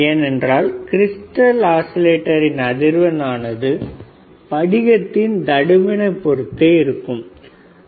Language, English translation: Tamil, So, this is how the crystal frequency crystal oscillator frequency is determined and it has to depend on the thickness